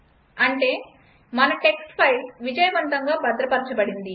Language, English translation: Telugu, So our text file has got saved successfully